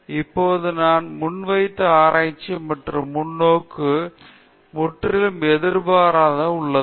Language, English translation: Tamil, So, the perspective that I now have on research and the perspective that I had before is completely opposites